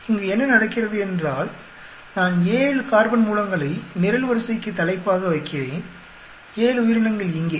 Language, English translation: Tamil, What is happening is I am putting the 7 carbon sources as heading for the column, and 7 organisms here